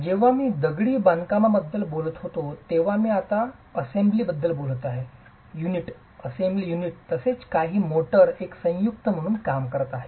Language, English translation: Marathi, And when I talk of masonry, I am talking of the assembly now, unit plus some motor acting as a composite